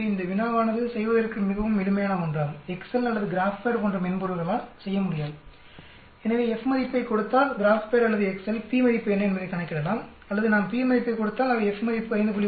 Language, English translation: Tamil, So it is quite simple problem to do, the softwares Excel or the GraphPad will not be able to do, if you give the F value the GraphPad or Excel can calculate what will be the p value or if we give the p value it will give you the F value as 5